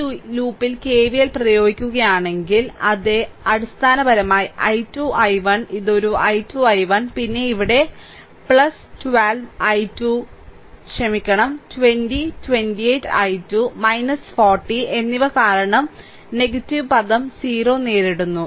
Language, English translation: Malayalam, So, if you applying KVL in this loop, then it is basically 12, i 1 this one 12 i 1, then here also plus 12 i 2 sorry 20 28 i 2 and minus 40 because encountering negativeterm is equal to 0